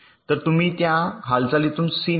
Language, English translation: Marathi, so you select c from the move